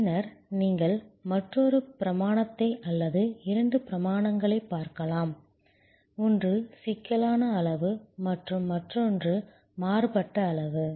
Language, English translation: Tamil, Then you can look at another dimension or rather two dimensions, one is degree of complexity and another is degree of divergence